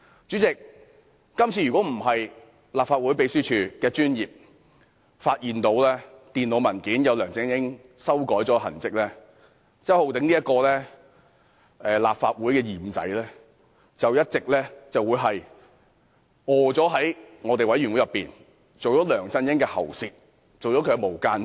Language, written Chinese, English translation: Cantonese, 主席，如果不是因為立法會秘書處的專業，發現電腦文件上有梁振英修改的痕跡，周浩鼎議員這名立法會的"二五仔"便會一直在專責委員會做梁振英的喉舌，做"無間道"。, President had it not been for the professionalism of the Legislative Council Secretariat which detected in the computer file the traces of amendments left by LEUNG Chun - ying Mr Holden CHOW a double - crosser in the Legislative Council would have continued to serve as LEUNG Chun - yings mouthpiece or undercover agent . Apart from being tipped off by Mr Holden CHOW LEUNG Chun - ying could also revise Mr Holden CHOWs speeches